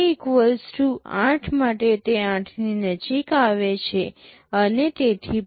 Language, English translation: Gujarati, For k = 8, it levels to very close to 8; and so on